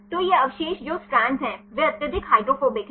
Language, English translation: Hindi, So, these residues which are strand they are highly hydrophobic